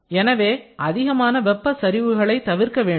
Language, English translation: Tamil, So, large thermal gradient should be avoided